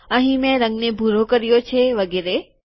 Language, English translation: Gujarati, I have changed the color here to blue and so on